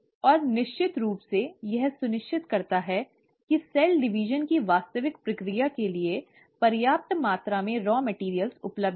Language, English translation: Hindi, And of course, it makes sure that there is a sufficient amount of raw material available for the actual process of cell division